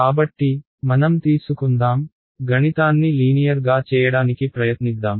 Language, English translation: Telugu, So, let us take; let us just try to make the math simple ok